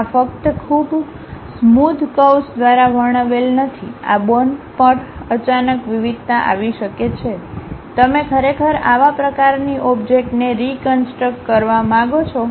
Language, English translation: Gujarati, These are not just described by very smooth curves, there might be sudden variation happens on these bones, you want to really reconstruct such kind of objects